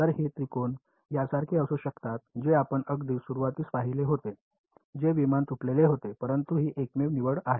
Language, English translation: Marathi, So, the elements it can be like this triangle that is what you saw in the very beginning the aircraft whichever was broken, but these are the only choice